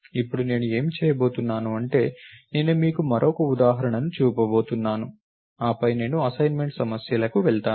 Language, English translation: Telugu, Now, what I am going to do is I am going to show you one more example and then I will go to the assignment problems